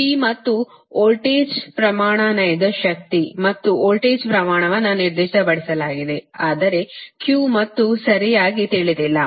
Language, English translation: Kannada, p and voltage magnitude, real power and voltage magnitude are specified, but q and delta are not known, right